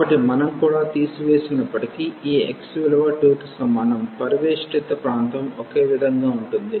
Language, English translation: Telugu, So, even if we remove also this x is equal to 2 the region enclosed will be the same